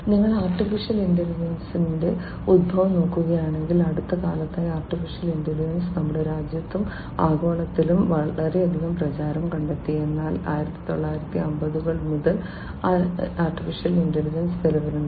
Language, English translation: Malayalam, If you look at the origin of AI, AI in the recent times have found lot of popularity in our country and globally, but AI has been there since long starting from the 1950s AI has been in existence